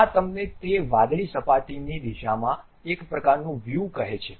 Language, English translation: Gujarati, This tells you a kind of view in the direction of that blue surface